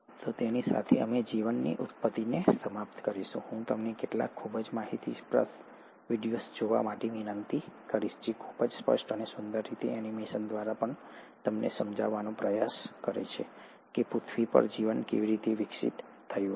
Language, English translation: Gujarati, So with that, we’ll end origin of life, I would urge you to go through some of the very informative videos, which very explicitly and beautifully through animation also try to explain you how life must have evolved on earth